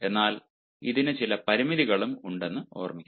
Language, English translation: Malayalam, but remember, it has certain limitations as well